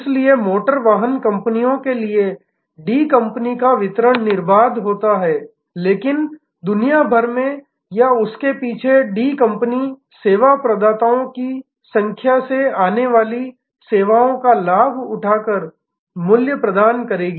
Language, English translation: Hindi, So, to the automotive companies the D company’s delivery is seamless, but the D company at its back end or around the world will be delivering the value by leveraging the services coming from number of service providers